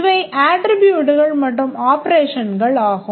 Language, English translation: Tamil, These are the attributes and these are the operations